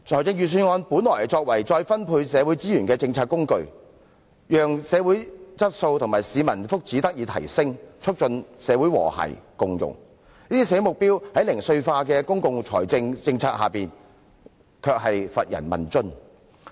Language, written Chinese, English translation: Cantonese, 預算案本應作為再分配社會資源的政策工具，讓社會質素和市民福祉得以提升，促進社會和諧共融，但這些社會目標在零碎化的公共理財政策下，卻乏人問津。, The Budget should serve as a policy instrument for redistribution of social resources thereby enhancing the quality of society and the peoples well - being and promoting social harmony and integration . But under the fragmentary public finance policy few people show interest in these social objectives